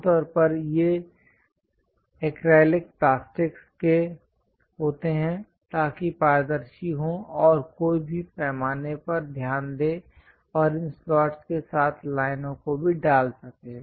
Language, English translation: Hindi, Usually, these are acrylic plastics, so that transparent and one can note the scale and put the lines along these slots also